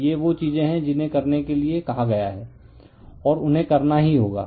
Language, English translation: Hindi, So, these are the thing have been asked to and you have to do it